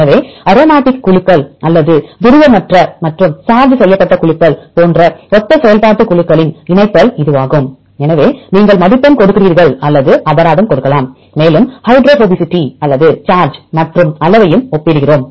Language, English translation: Tamil, So, this is the pairing of this similar functional groups like either the aromatic groups or the nonpolar and charged groups and so on either you give the score or give the penalty; and we also compare the hydrophobicity or the charge as well as size